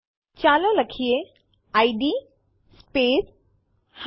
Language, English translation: Gujarati, Lets type id space g